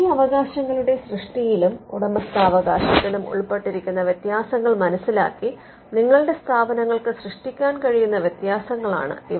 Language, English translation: Malayalam, So, these are variations that your institute can create knowing the differences involved in these in the creation and ownership of these rights